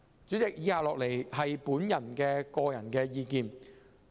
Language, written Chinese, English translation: Cantonese, 主席，以下是我的個人意見。, President the following are my personal views